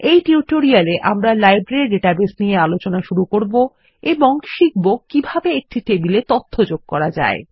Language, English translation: Bengali, In this tutorial, we will resume with the Library database and learn how to add data to a table